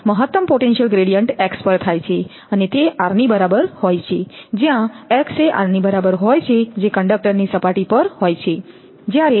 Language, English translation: Gujarati, Now, the maximum potential gradient occurs at x is equal to r, where x is equal to r that is at the surface of the conductor